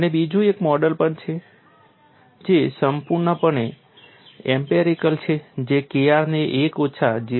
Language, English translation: Gujarati, And there is also another model which is purely empirical which gives K r equal to one minus 0